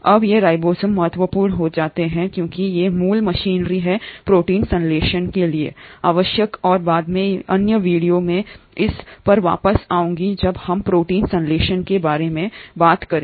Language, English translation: Hindi, Now these ribosomes become important because they are the basic machinery which is required for protein synthesis and I will come back to this later in other videos when we are talking about protein synthesis